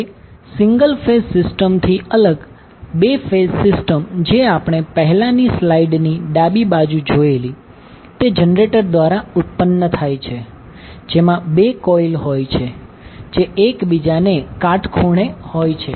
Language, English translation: Gujarati, Now, as distinct from the single phase system, the 2 phase system which we saw in the left side of the previous slide is produced by generator consisting of 2 coils placed perpendicular to each other